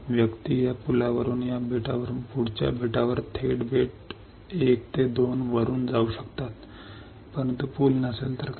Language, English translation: Marathi, The persons can cross this bridge from this island to the next island right from island 1 island 2 correct, but what if there is no bridge